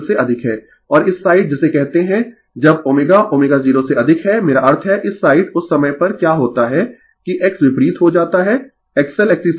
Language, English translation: Hindi, And this side your what you call when your omega greater than omega 0 I mean this side right at that time what will happen that X turns to opposite X L greater than X C right